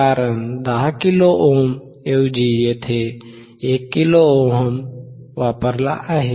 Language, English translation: Marathi, Because instead of 10 kilo ohm here we have used 1 kilo ohm